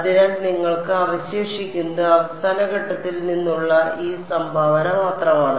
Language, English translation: Malayalam, So, what you are left with is just this contribution from the end point